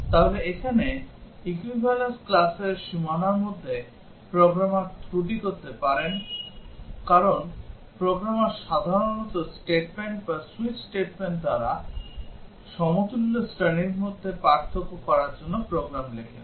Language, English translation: Bengali, So, here between the boundaries of equivalence classes, the programmer might commit error, because the programmer typically writes programs to distinguish between different equivalence classes by if statements or switch statements